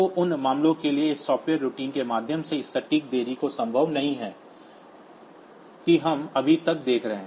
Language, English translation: Hindi, So, for those cases, it is not possible to have this accurate delays by means of this software routines that we are looking into so far